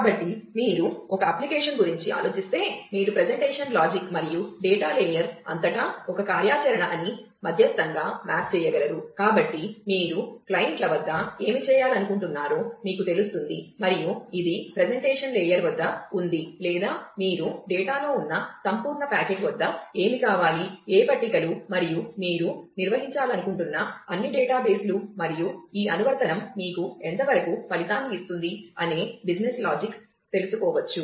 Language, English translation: Telugu, So, that you know what you want to do at the clients, and which is which is at the presentation layer, or what you want at the absolute packet which is on the data, what tables and all the databases that you want to maintain, and the business logic of how actually this application will give you the result, how actually it will